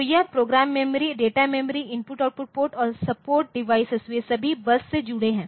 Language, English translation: Hindi, So, the bus so, they are so, this program memory, data memory, I/O port and support devices they are all hanging from the bus ok